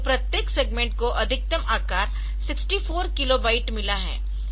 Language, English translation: Hindi, So, each segment has got a maximum size of 64 k, so 64 kilo byte